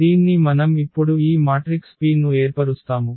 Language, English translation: Telugu, So, having this we can now form this P the model matrix P